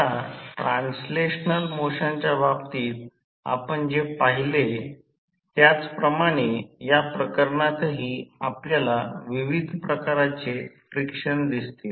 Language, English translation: Marathi, Now, similar to what we saw in case of translational motion, in this case also we will see various frictions